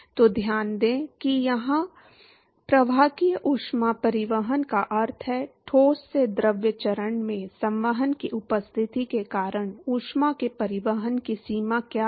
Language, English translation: Hindi, So, note that here, conductive heat transport means, what is the extent of transport of heat, because of the presence of convection from the solid to the fluid phase